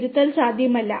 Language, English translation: Malayalam, There is no rectification possible